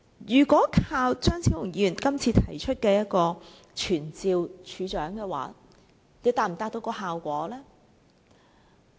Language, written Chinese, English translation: Cantonese, 如果單靠張超雄議員今次提出傳召署長，又能否達到效果？, Can we achieve any effect merely through the motion moved by Dr Fernando CHEUNG to summon the Commissioner?